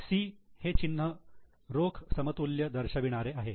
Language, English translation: Marathi, C is a marking we make here for cash equivalent